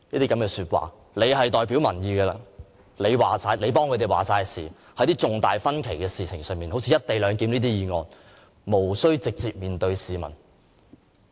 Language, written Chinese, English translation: Cantonese, 據他所言，他是代表民意的，他為市民作決定，在一些有重大分歧的事情上，好像"一地兩檢"這些議案，無需直接面對市民。, According to him since he represents public opinions and makes decisions on behalf of the people he need not face the public directly when dealing with issues carrying divergent views such as this motion on the co - location arrangement